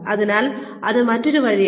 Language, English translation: Malayalam, So, that is one more way